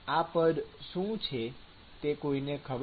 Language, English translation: Gujarati, What is this term